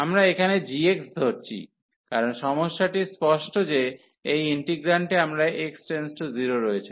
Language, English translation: Bengali, So, we consider here g x, because the problem is clear we have in this integrand as x approaching to 0